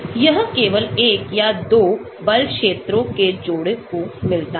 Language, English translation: Hindi, It has got only one or 2, couple of force fields